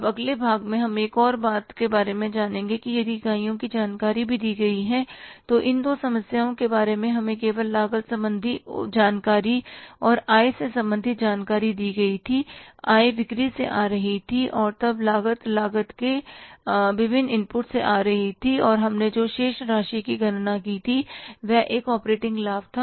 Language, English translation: Hindi, In these two problems, we were given only the cost related information and income related information, income was coming from sales and then the cost was coming from the different inputs of the cost and the balance be calculated was the operating profit